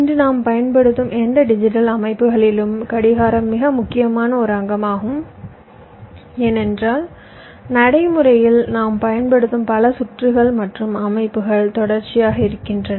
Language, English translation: Tamil, clock is a very important component of any digital systems that we use today because, as you know, most of the circuits and systems that we talk about that we use in practise are sequential in nature